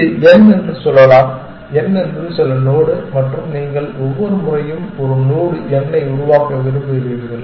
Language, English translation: Tamil, Let us say this is the n, n is some node and you want every time we generate a node n we want to compute the h value for that node